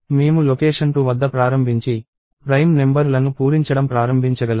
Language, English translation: Telugu, I can start at location 2 and start filling up the prime numbers